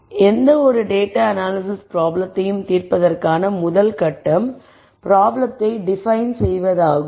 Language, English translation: Tamil, So, I am going to call the rst step in any data analysis problem solving as defining the problem